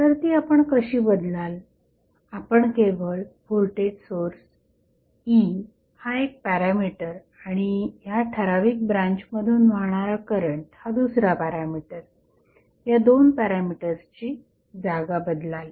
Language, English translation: Marathi, So, how you will replace you will just switch the locations of both of the, the parameters 1 is E that is voltage source and second is current flowing in this particular branch